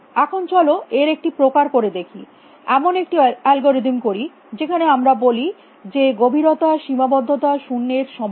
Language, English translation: Bengali, Now, let us do a variation let us have an algorithm in which we say depth bound is equal to zero